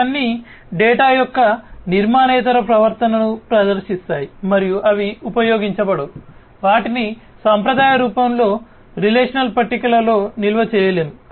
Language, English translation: Telugu, So, all of these will exhibit non structured behavior of data and they cannot be used, they cannot be stored in relational tables in the traditional form, right